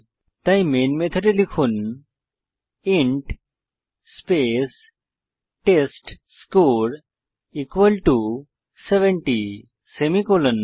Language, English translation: Bengali, So inside the Main method, type int space testScore equal to 70 semicolon